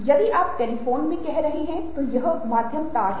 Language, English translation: Hindi, if you are talking about, let say, telephone, then wires